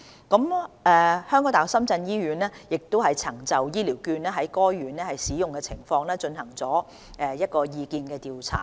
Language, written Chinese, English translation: Cantonese, 港大深圳醫院曾就醫療券在該院的使用情況進行意見調查。, HKU - SZH conducted an opinion survey on the use of HCVs at the hospital